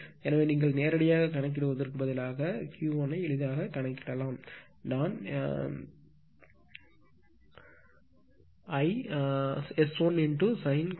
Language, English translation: Tamil, So, you can calculate easily at instead of calculating directly I am writing S 1 into sin of cos inverse theta 1 right